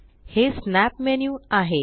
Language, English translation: Marathi, This is the Snap menu